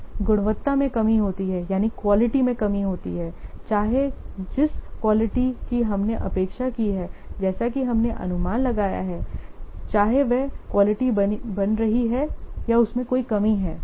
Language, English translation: Hindi, Then, short fors in quality, whether the quality as we have expected as we have what anticipated whether that quality is maintained or there is a shortfall in that